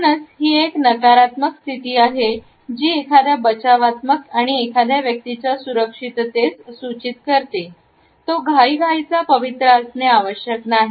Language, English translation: Marathi, So, though this is a negative position indicating a defensive and in security of a person; it is not necessarily a hurried posture